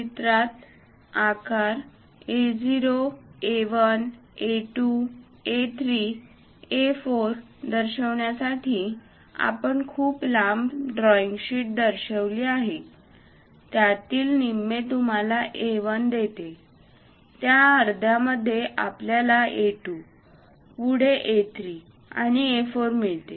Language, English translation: Marathi, To represent pictorially the A0 size A1, A2, A3, A4, we have represented a very long drawing sheet; half of that gives you A1, in that half gives you A2, further A3, and A4